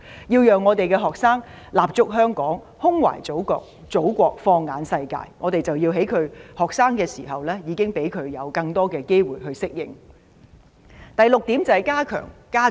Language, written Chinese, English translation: Cantonese, 為了讓學生立足香港、胸懷祖國、放眼世界，我們要在他們求學時期，給予他們更多機會進行交流及實習。, In order to enable our students to establish themselves in Hong Kong love the Motherland and adopt an international outlook we must give them more opportunities to participate in exchange and internship programmes while they are studying